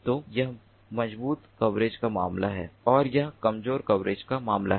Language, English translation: Hindi, so this is the case of strong coverage and this is the case of weak coverage